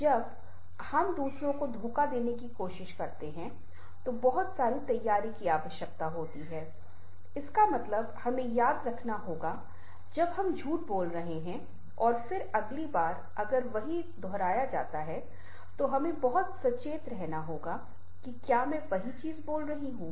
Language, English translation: Hindi, now, when we try to deceive others, lots of preparation are required, means we have to remember when we are telling a lie and then next time if the same is repeated, then we have very, very conscious that ah, whether i am speaking the same thing